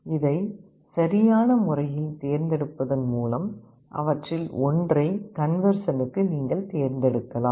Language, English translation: Tamil, By appropriately selecting it, you can select one of them for conversion